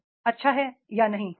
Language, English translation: Hindi, Is it good or not